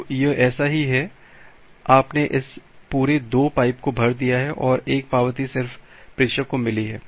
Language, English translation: Hindi, So, it is just like that you have filled up this entire two pipes and one acknowledgement has just received at the sender